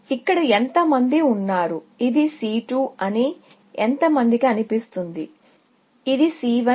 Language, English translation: Telugu, How many people here, feel it is C 2, and how many feel, it is C 1